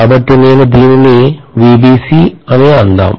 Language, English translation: Telugu, So I can write this as VBC